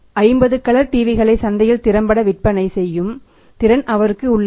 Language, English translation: Tamil, He has a capacity to sell 50 colour TV’s efficiently in the market